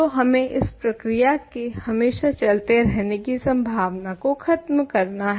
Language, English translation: Hindi, So, we have to rule out the possibility that this process continues forever